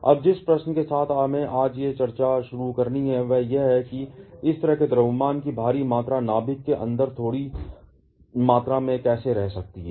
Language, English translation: Hindi, Now, the question with which we have to start today discussion is how such heavy amount of mass can stay in a small volume inside the nucleus